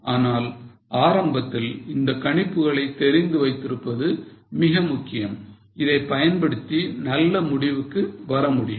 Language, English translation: Tamil, But in the beginning it is very important that you know these assumptions and using these assumptions come out with a fair decision